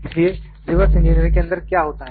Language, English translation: Hindi, So, what happens in reverse engineering